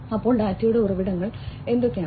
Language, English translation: Malayalam, So, what are the sources of data